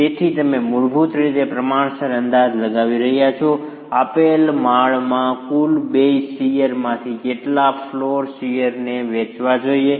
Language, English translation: Gujarati, So, you are basically estimating in a proportionate manner how much floor shear of the total base shear should you apportion to a given story